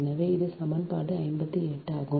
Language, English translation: Tamil, so this is equation fifty eight